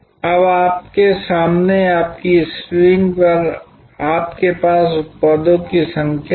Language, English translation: Hindi, Now, in front of you on your screen you have number of products